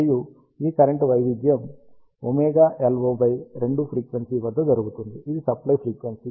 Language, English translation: Telugu, And this current variation happens at a frequency of omega LO by 2, which is the supplied frequency